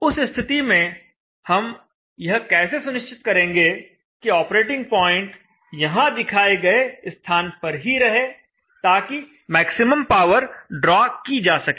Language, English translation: Hindi, There in that case how do we still maintain the operating point to be at this point as shown here such that the power drawn is maximum